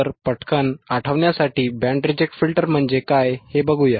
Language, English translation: Marathi, So, to quickly recall, what is band reject filter